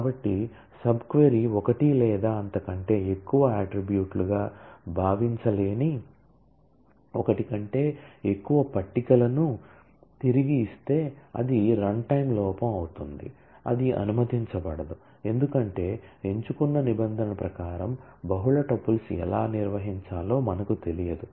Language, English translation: Telugu, So, if the sub query returns more than one table which cannot be conceived as one or more attributes, then it will be runtime error that will not be allowed; because we do not know how to handle multiple tuples in terms of a select clause